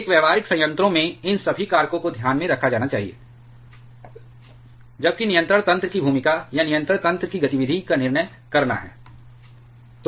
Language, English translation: Hindi, In a practical reactor all these factors need to be taken into consideration, while deciding the role of the controlling mechanisms or the activity of the controlling mechanisms